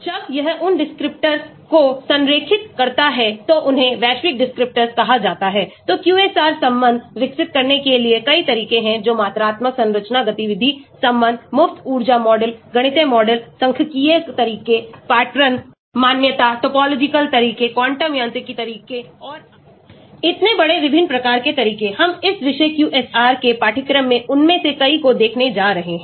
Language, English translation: Hindi, When it is aligned those descriptors, these are called global descriptors, so there are many methods to develop the QSAR relationship that is quantitative structure activity relationship, free energy models, mathematical models, statistical methods, pattern recognition, topological methods, quantum mechanical methods and so on, so large different types of approaches, we are going to look at many of them in the course of this topic QSAR